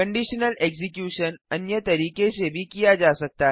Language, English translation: Hindi, The conditional execution can also be done in another way